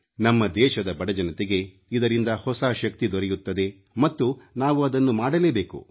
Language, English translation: Kannada, The poor of our country will derive strength from this and we must do it